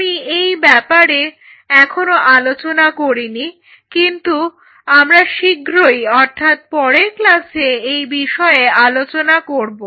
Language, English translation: Bengali, I have not talked about that I will I will talk about very soon in the next class on it